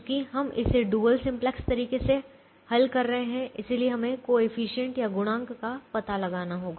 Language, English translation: Hindi, since we are doing it the dual simplex way, we have to find out the coefficient